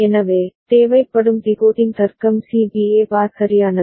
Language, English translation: Tamil, So, then the decoding logic required is C B A bar right